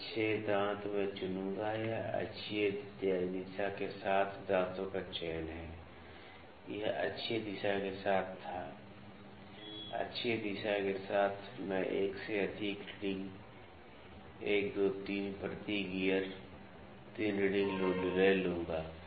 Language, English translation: Hindi, This 6 teeth I will select this is the selection of the teeth also along the axial direction this was along the radial direction, along the axial direction I will take more than one reading 1, 2, 3 may be 3 readings per gear